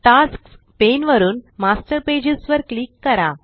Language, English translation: Marathi, From the Tasks pane, click on Master Pages